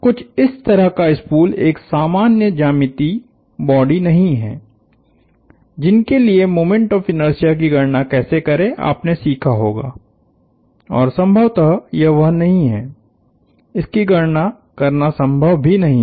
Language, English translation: Hindi, A spool such as this is not a regular geometric body that you would have learnt, how to compute the moment of inertia and it is possibly not, it is not even possible to compute